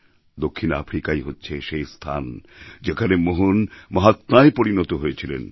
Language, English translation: Bengali, It was South Africa, where Mohan transformed into the 'Mahatma'